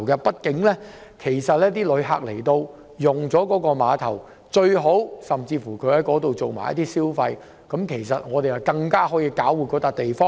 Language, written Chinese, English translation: Cantonese, 畢竟旅客來到碼頭，最好可以順道在那裏消費，這樣我們便可以搞活這個地方。, After all it will be best for the passengers arriving at KTCT to take the opportunity to do spending there then the place can be invigorated